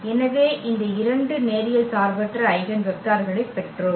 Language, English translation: Tamil, So, we got this two linearly independent eigenvector